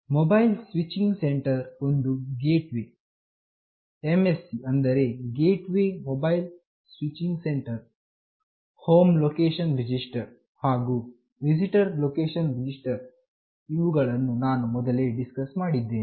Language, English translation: Kannada, Mobile Switching Center, a gateway MSC that is Gateway Mobile Switching Center, Home Location Register, and Visitor Location Register, which I have already discussed